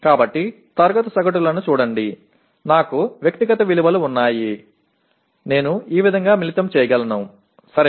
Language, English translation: Telugu, So the SEE class averages, I have individual values, I can combine like this, okay